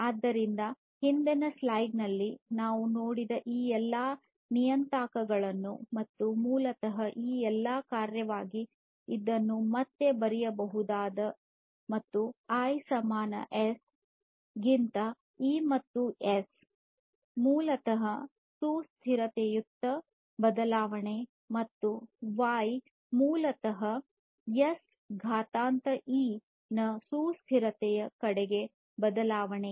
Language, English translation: Kannada, So, all these parameters that we have seen in the previous slide and so, this basically can be again rewritten as a function of all these is and where I equal to S over E and S is basically the change towards the sustainability and Y is basically the exponent of the change towards sustainability S of E